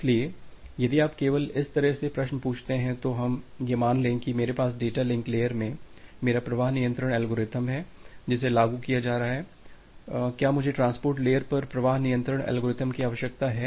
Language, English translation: Hindi, So, if you if you just ask the question in this way that let us assume that I have my flow control algorithm in the data link layer which is being implemented, do I need to have the flow control algorithm at the transport layer itself